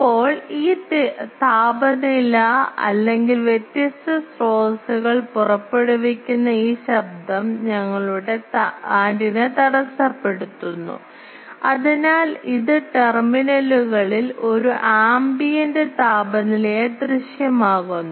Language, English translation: Malayalam, Now, you see the brightness this temperature or this noise emitted by the different sources is intercepted by our antenna, and so it appears at the terminals as a ambient temperature